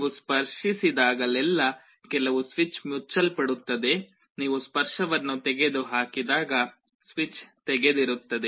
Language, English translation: Kannada, Whenever you make a touch some switch is closed, when you remove the touch the switch is open